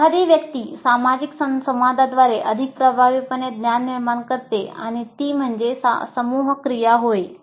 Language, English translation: Marathi, One constructs knowledge more effectively through social interactions and that is a group activity